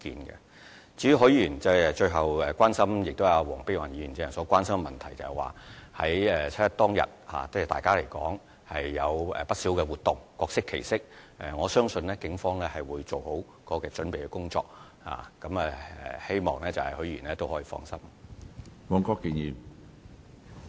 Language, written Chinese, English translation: Cantonese, 至於許議員最後提出的關注事項，亦是黃碧雲議員剛才所關心的問題，在七一當天大家會舉辦不少活動，各適其適，我相信警方會做好準備工作，希望許議員可以放心。, As for the concern raised by Mr HUI at the end of his speech which is also the concern mentioned by Dr Helena WONG earlier many activities that suit different needs of the people will be held on 1 July and I believe the Police will make proper preparations for them . I hope Mr HUI can rest assured